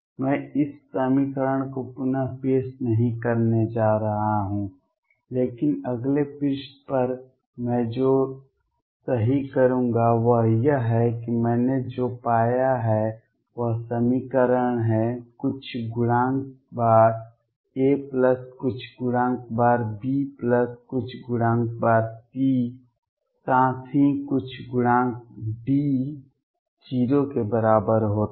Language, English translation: Hindi, I am not going to reproduce this equation, but what I will right on the next page is that what I have the found the equation is some coefficient times A plus some coefficient times B plus some coefficient times C plus some coefficient times D equals 0